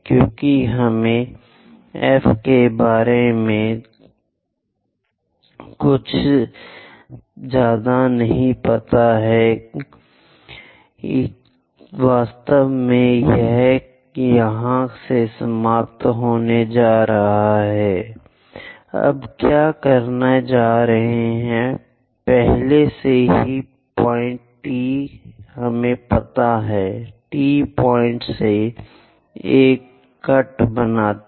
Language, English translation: Hindi, Because we do not know anything about F where exactly it is going to intersect; what we are going to do is, already T point we know, from T point make a cut